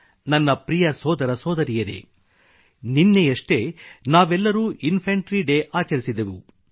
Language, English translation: Kannada, My dear brothers & sisters, we celebrated 'Infantry Day' yesterday